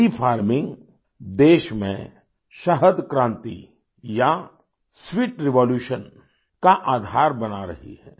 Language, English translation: Hindi, Bee farming is becoming the foundation of a honey revolution or sweet revolution in the country